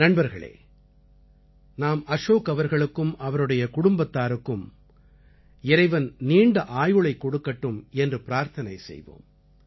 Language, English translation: Tamil, Friends, we pray for the long life of Ashok ji and his entire family